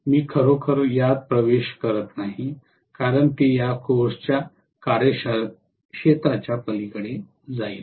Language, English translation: Marathi, I am not really getting into this because that will be very much beyond the purview of this course